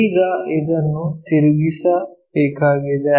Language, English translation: Kannada, Now, this has to be rotated